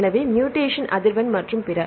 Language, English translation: Tamil, So, mutation frequency and then